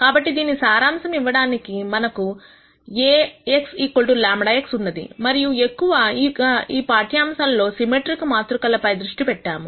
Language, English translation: Telugu, So, to summarize, we have Ax equal to lambda x and we largely focused on symmetric matrices in this lecture